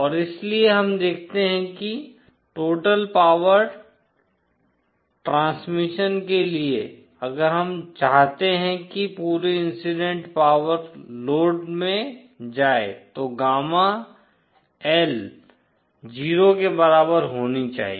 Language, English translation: Hindi, And so, we see that for total power transmission that if we want the entire incident power to go to the load gamma L should be equal to 0